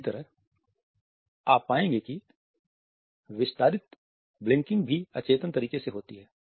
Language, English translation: Hindi, Similarly, you would find that extended blinking also occurs in an unconscious manner